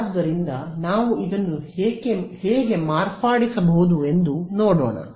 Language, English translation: Kannada, So, let us see how we can modify this